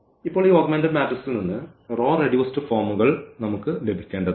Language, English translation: Malayalam, So, now out of this augmented matrix, we have to get this row reduced forms